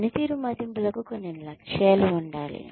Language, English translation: Telugu, Performance appraisals should have some targets